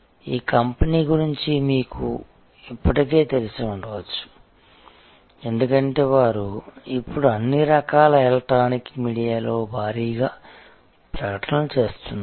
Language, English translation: Telugu, You might be already familiar with this company, because they are now heavily advertising on all kinds of electronic media